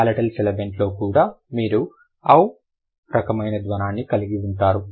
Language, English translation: Telugu, In the palatal sibilant also you will also have the o kind of a sound